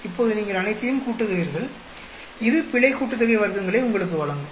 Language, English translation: Tamil, Now, you add up all of them; that will give you the error sum of squares